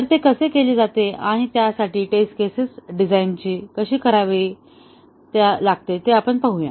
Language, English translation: Marathi, So, let us see how it is done and how to design the test cases for this